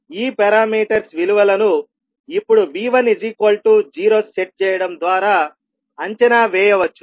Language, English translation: Telugu, The values of these parameters can be evaluated by now setting V1 equal to 0